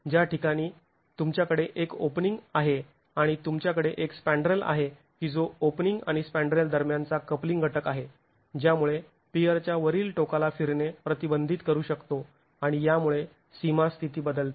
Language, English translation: Marathi, The moment you have an opening and you have a spandrel which is a coupling element between the opening, the spandrel can prevent the rotations at the top of the piers and it changes the boundary condition